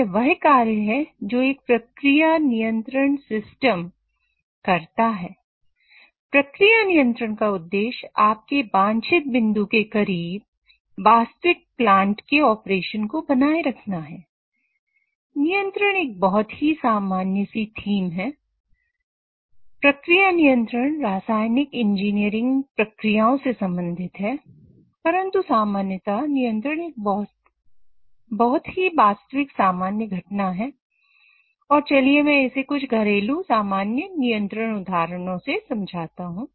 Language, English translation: Hindi, So process control deals with control of chemical engineering processes, but in general control is a very common phenomena and let me motivate it through some of the household hormone control examples